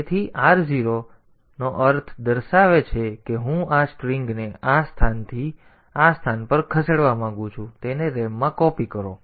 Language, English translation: Gujarati, So, r 0 is pointing to this meaning that I want to move this string from this location to this location copy it into the ram